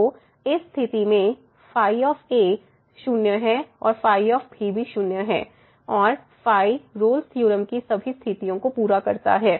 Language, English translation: Hindi, So, in this case the is and is and satisfies all the conditions of the Rolle’s theorem and therefore, we can apply Rolle’s theorem to this function